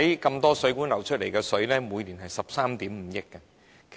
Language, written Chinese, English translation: Cantonese, 眾多水管漏出的水，每年達13億 5,000 萬立方米。, Take the recent case as an example leakage of water from the various mains amounts to 1 350 million cu m each year